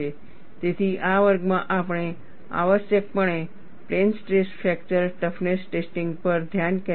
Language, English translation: Gujarati, So, in this class, we essentially focused on plane stress fracture toughness testing